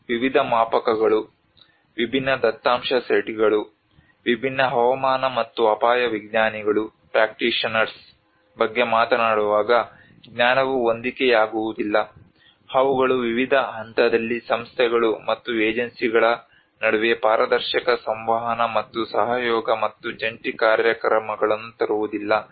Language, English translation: Kannada, Also the knowledge mismatches when we talk about different scales, different data sets, different climate and risk scientistís practitioners which they do not bring the transparent communication and collaboration and joint programming between various levels of actorís, institutions, and agencies